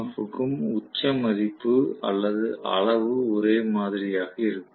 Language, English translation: Tamil, All the EMF will have the peak value or the magnitude to be the same